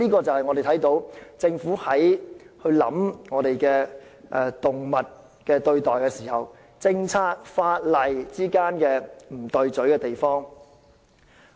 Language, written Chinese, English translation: Cantonese, 這是政府在考慮動物權益時政策和法例之間不協調的地方。, This example reflects a discrepancy between the Governments policy and the laws on animal rights